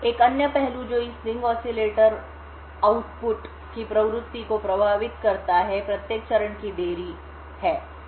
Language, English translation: Hindi, Another aspect which influences the frequency of this ring oscillator output is the delay of each stage